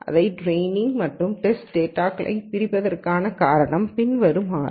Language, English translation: Tamil, And the reason for splitting this into training and test data is the following